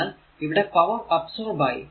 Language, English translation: Malayalam, So, it will be power absorbed